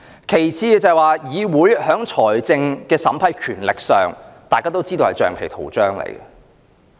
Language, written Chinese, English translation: Cantonese, 其次，大家都知道議會在財政審批權力上是橡皮圖章。, Second we all know that the legislature is just a rubber stamp insofar as the power to scrutinize funding proposals is concerned